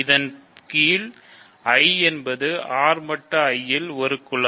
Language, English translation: Tamil, So, under this, I R mod I is a group